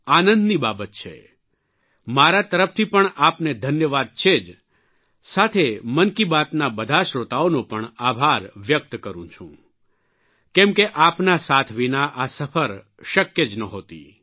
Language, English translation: Gujarati, From my side, it's of course THANKS to you; I also express thanks to all the listeners of Mann ki Baat, since this journey just wouldn't have been possible without your support